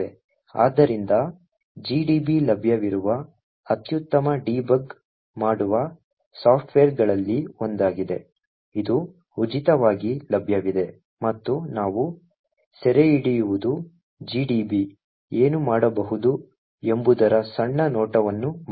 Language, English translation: Kannada, So gdb is one of the best debugging softwares that are available, it is freely available and what we actually capture is just the small glimpse of what gdb can do